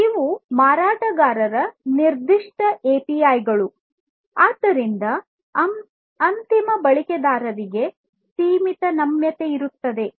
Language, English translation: Kannada, And so because these are vendor specific API’s there is limited flexibility that the end users have